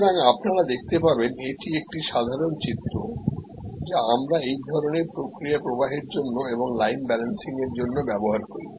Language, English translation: Bengali, So, you see this is a typical diagram, which we use for this kind of process flow and for line balancing